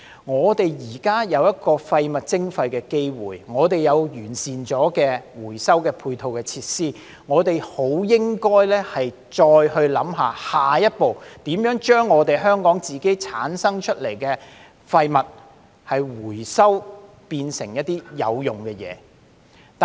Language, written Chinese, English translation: Cantonese, 我們現在既有廢物徵費的機會，有已完善的回收配套設施，我們便應考慮下一步，就是如何將香港自己產生的廢物回收並變成有用的物料。, Now that we have the opportunity to impose waste charges and have put in place well - developed recycling supporting facilities we should consider the next step examining ways to recover the waste generated in Hong Kong and turn it into useful materials